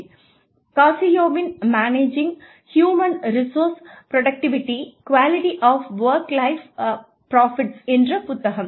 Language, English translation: Tamil, I have referred to, these two books, Managing Human Resources: Productivity, Quality of Work Life Profits, by Cascio